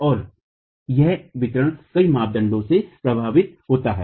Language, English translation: Hindi, And this distribution is affected by several parameters